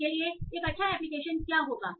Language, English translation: Hindi, So what will be one nice application for that